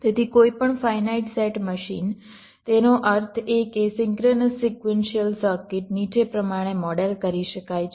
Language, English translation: Gujarati, so any finite set machine that means ah synchronous sequential circuit can be modeled as follows